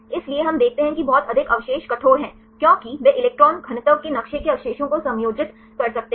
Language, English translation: Hindi, So, we see very residues are rigid because they could accommodate the residues within the electron density map